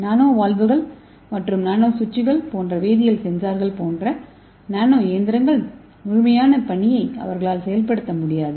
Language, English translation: Tamil, So why this nano machine communication is important, so the nano machines such as chemical sensors nano valves and nano switches this cannot execute the complete task by themselves